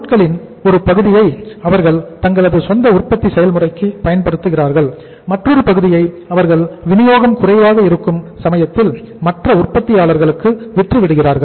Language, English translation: Tamil, Part of the material they use in their own manufacturing process and part of the material they sell it to the other manufacturers when the supply is short in the time to come